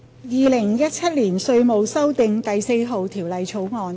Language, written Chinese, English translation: Cantonese, 《2017年稅務條例草案》。, Inland Revenue Amendment No . 4 Bill 2017